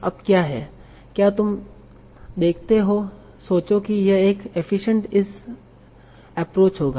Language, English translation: Hindi, Now what is do you think this will be efficient this approach